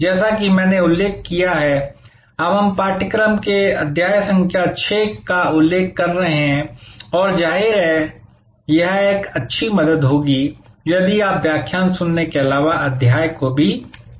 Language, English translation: Hindi, As I mentioned, we are now referring to chapter number 6 of the text book and obviously, it will be a good help if you also read the chapter side by side, besides listening to the lecture